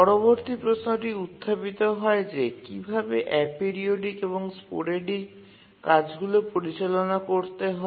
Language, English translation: Bengali, The next question comes is that how do we handle aperiodic and sporadic tasks